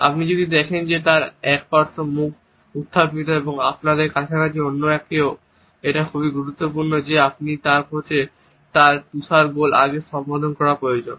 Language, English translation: Bengali, If you see that one sided mouth raise and someone else near you, it is very important that you need to address something before its snowballs